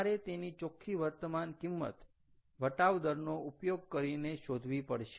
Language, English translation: Gujarati, you have to find the net present value by using the discount rate, right